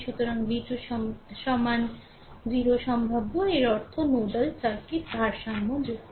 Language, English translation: Bengali, So, v 2 is equals to 0 right 0 potential; that means, nodal circuit is balanced right